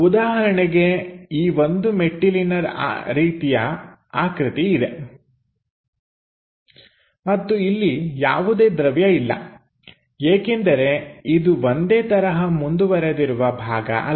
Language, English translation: Kannada, For example, this might be something like a step and there is no material here because this is not a continuous portion